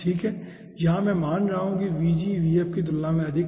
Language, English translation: Hindi, okay, here i will be considering the vg is higher compared to vf